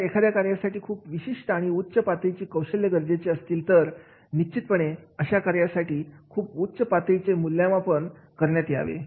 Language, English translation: Marathi, If the skills they are highly specific, they require a high degree level, then definitely in that case that particular job will be carrying the very high level of the evaluation